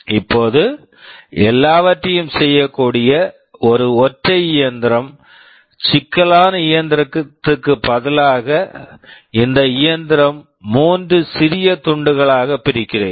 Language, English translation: Tamil, Now let us assume that instead of a single very complex machine that can do everything, let me divide this machine into three smaller pieces